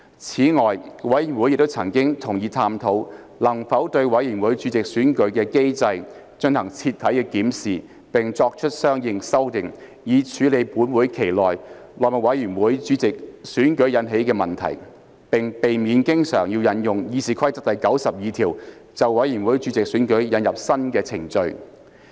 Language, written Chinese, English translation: Cantonese, 此外，委員會亦曾同意探討能否對委員會主席選舉的機制進行徹底檢視並作出相應修訂，以處理本會期內務委員會主席選舉引起的問題，並避免經常引用《議事規則》第92條，就委員會主席選舉引入新的程序。, Moreover the Committee also agreed to explore whether there could be an overhaul of the mechanism for the election of committee chairmen with a view to addressing the problems arising from the election of the Chairman of the House Committee for the current session and avoiding frequent invocation of Rule 92 of the Rules of Procedure to introduce new procedures for the election of committee chairmen